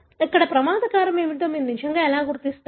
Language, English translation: Telugu, So, how do you really identify what is the risk factor